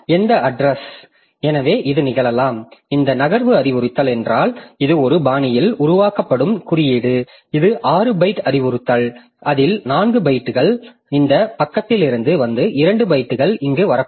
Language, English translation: Tamil, So, so any address, so it may so happen that this if this move instruction is the code is generated in such a fashion that it is a, this is a 6 byte instruction out of that maybe 4 bytes come onto this page and 2 bytes come here